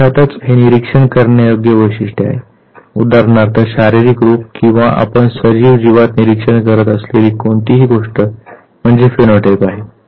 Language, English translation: Marathi, This is of course the observable trait, so physical appearance for instance anything that you observe in the living organism; that is the phenotype